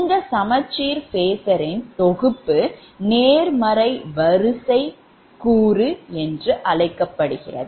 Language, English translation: Tamil, this set of balanced phasor is called positive sequence component